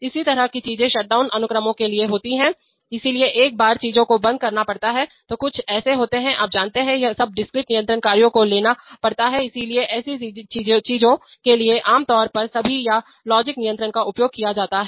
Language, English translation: Hindi, Similar things happen for shutdown sequences, so once things have to be shut down, there are certain such, you know, sub discrete control actions have to be taken, so for such things typically sequence all or logic controllers are used